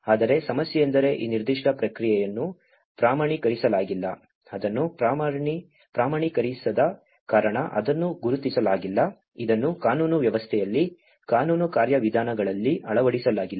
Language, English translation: Kannada, But the problem is this particular process has not been standardized, the reason why it has not been standardized is it has not been recognized, it has not been incorporated in the legal system, legal procedures